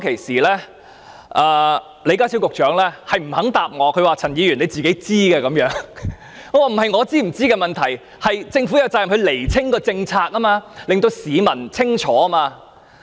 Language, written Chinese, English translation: Cantonese, 然而，問題並不在於我是否清楚知道，而是政府有責任釐清政策，令市民清楚明白。, However the problem does not lie in whether I know the answer well it is the Government that has the responsibility to clarify its policy and enable members of the public to clearly understand it